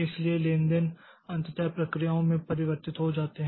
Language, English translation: Hindi, So, transactions are ultimately converted into processes